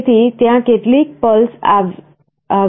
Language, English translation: Gujarati, So, there will be some pulses coming like this